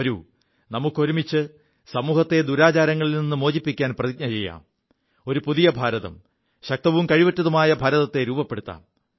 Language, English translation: Malayalam, Come, let us pledge to come together to wipe out these evil customs from our social fabric… let us build an empowered, capable New India